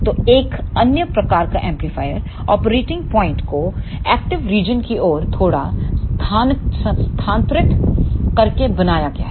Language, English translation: Hindi, So, another type of amplifier is made by shifting the operating point slightly towards the active region